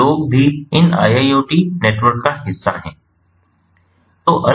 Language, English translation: Hindi, so people are also part of these iiot networks